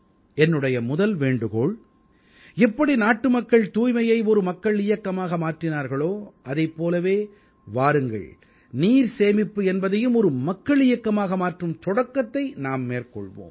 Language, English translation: Tamil, My first request is that just like cleanliness drive has been given the shape of a mass movement by the countrymen, let's also start a mass movement for water conservation